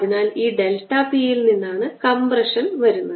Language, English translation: Malayalam, so the compression comes from this delta p